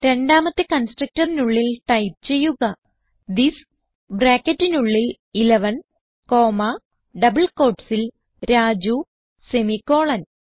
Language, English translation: Malayalam, Inside the second constructor type this within brackets 11 comma within double quotes Raju semicolon